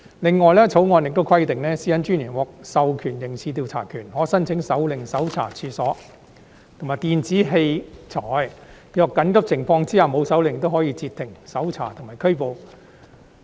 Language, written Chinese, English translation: Cantonese, 另外，《條例草案》亦規定私隱專員獲授刑事調查權，可申請手令搜查處所及電子器材；若在緊急情況下未有手令，亦可以截停、搜查和拘捕人。, Furthermore the Bill also requires that the Commissioner be empowered with criminal investigation powers to apply for warrants to search premises and electronic devices and to stop search and arrest a person without warrant in urgent circumstances